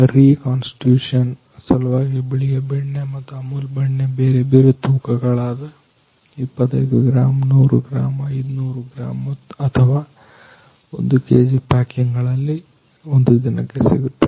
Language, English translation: Kannada, White butter for reconstitution in reseason and Amul butter various size packing 25 gram 100 gram 500 gram or 1 kg packing per day